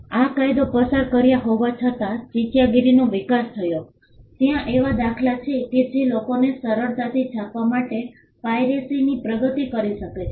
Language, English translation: Gujarati, Despite passing this law piracy flourished there were instances because of the technology that allowed people to print easily piracy flourished